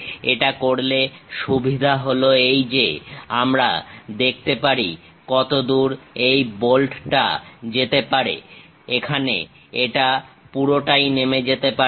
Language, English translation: Bengali, By doing this the advantage is, we can clearly see up to which length this bolt can really go; here it goes all the way down